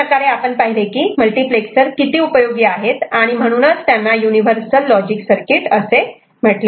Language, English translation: Marathi, So, that is how this multiplexer is very useful in and used as a universal logic circuit